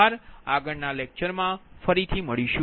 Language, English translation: Gujarati, we will come again